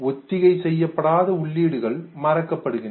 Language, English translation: Tamil, The unrehearsed ones are forgotten